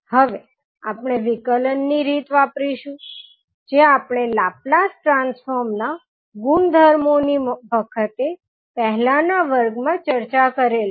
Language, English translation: Gujarati, Now, we will use time differentiation technique which we discussed in the previous classes when we were discussing about the various properties of Laplace transform